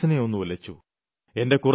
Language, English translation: Malayalam, But that stirred my mind